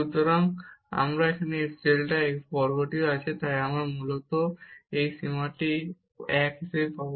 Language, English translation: Bengali, So, and this delta x square is also there, so we will get basically this limit as 1